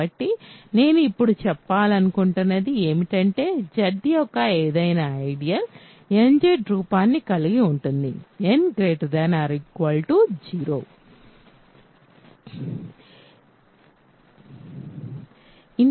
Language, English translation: Telugu, So, in other words what I want now say is that, any ideal of Z has the form nZ for some n greater than or equal to 0